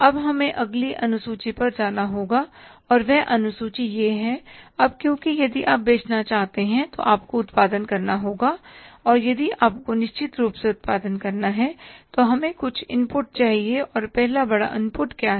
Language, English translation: Hindi, Now we have to go with the next schedule and that schedule is the now because if you want to sell you have to produce and if you have to produce certainly we need some inputs and first major input is what